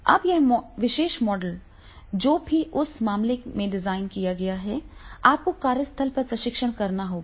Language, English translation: Hindi, Now this particular model, whatever has been designed in that case, you have to go the testing at the workplace